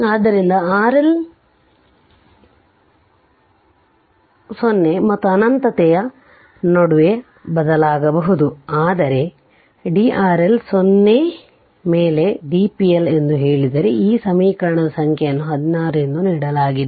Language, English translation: Kannada, So, R L can vary between 0 and infinity, but if you say d p L upon d R L is equal to 0 this equation number is 16 given